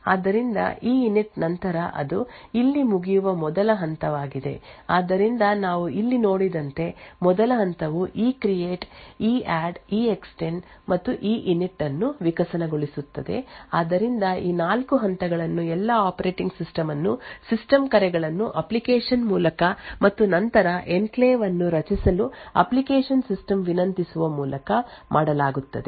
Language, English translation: Kannada, So, after EINIT that is the first step which is over here so the first step as we seen over here ivolves the ECREATE EADD EEXTEND and EINIT, so these 4 steps are all done the operating system by application invoking system calls and then requesting application system to create this enclave